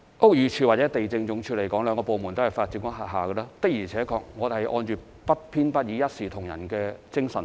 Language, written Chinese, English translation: Cantonese, 屋宇署及地政總署兩個部門都是發展局轄下的，的而且確，我們是按照不偏不倚、一視同仁的精神辦事。, Both BD and LandsD are under the purview of the Development Bureau and indeed we proceed with actions impartially in a fair and equitable manner